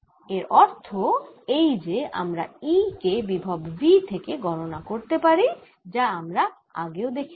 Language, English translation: Bengali, what that also means that we can calculate e from a potential v r, which we have already seen right